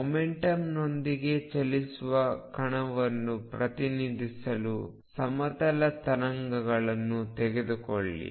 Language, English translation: Kannada, Take the plane waves which represent a particle moving with momentum p